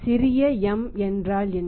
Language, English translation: Tamil, What is the small m